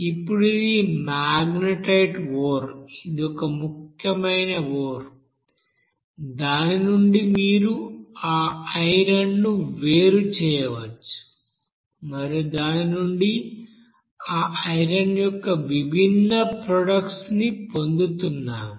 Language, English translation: Telugu, Now in this case this is a magnetite ore, that is one important ore from which you can you know separate that you know iron and from which we are getting different you know product of that iron